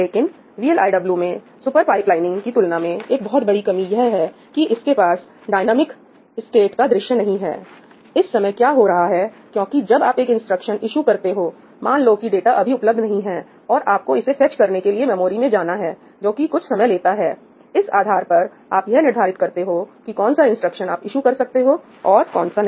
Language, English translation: Hindi, But of course, one major drawback of VLIW, as opposed to super pipelining, is that it does not have a view of the dynamic state, that what is currently going on because when you issue an instruction and, let us say, that the data is not present, and you have to go to the memory to fetch that data, which takes a substantial amount of time based on that you can make decisions of which instructions you can issue and which you cannot